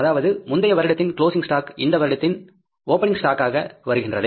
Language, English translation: Tamil, With there then the closing stock of the previous period which will become the opening stock